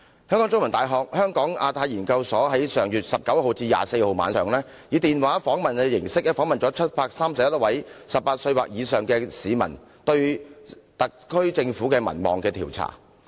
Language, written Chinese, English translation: Cantonese, 香港中文大學香港亞太研究所在上月19日至24日晚上，以電話形式訪問了731位18歲或以上的市民，就特區政府的民望進行調查。, The Hong Kong Institute of Asia - Pacific Studies of The Chinese University of Hong Kong interviewed 731 people aged 18 or over via telephone on the evenings from 19 to 24 of last month to conduct a survey on the popularity of the SAR Government